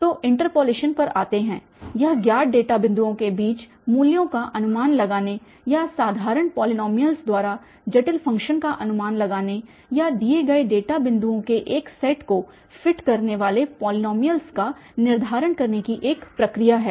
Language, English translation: Hindi, So, coming to the interpolation, it is a process of estimating values between known data points or approximating complicated functions by simple polynomials or determining a polynomial that fits a set of given data points